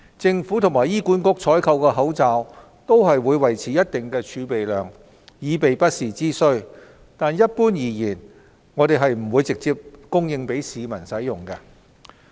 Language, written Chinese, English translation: Cantonese, 政府和醫管局採購的口罩會維持一定的儲備量，以備不時之需，但一般而言並不會直接供應給市民使用。, The Government and HA have maintained a stockpile of masks to meet contingency needs . However generally speaking the stock will not be directly supplied to the public